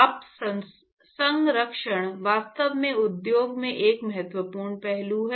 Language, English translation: Hindi, In fact, steam conservation is actually an important aspect in industry